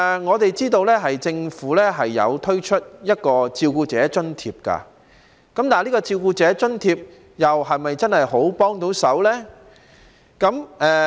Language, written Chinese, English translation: Cantonese, 我們知道政府推出了照顧者津貼，但這項津貼是否真的有很大幫助呢？, We know that the Government has provided a carer allowance but is this allowance of great help?